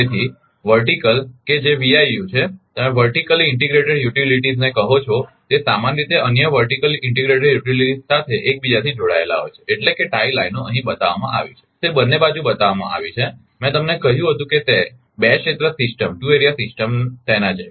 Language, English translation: Gujarati, So, the vertical that is VIU, you call vertically integrated utility is usually interconnected to other other vertical integrated utilities that means, tie lines are shown here both side it is shown here, I told you to two area system like that